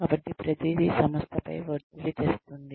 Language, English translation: Telugu, So, everything is putting a pressure on the organization